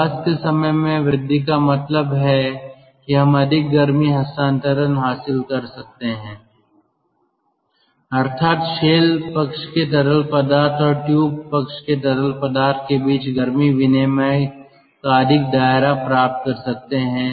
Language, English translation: Hindi, the residence time increases means we get more heat transfer, more ah um scope of heat exchange between the shell side fluid and the tube side fluid